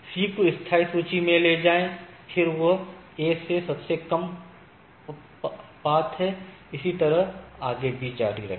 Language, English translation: Hindi, Then, if move C to the permanent list because, it is the least path from the A and so and so forth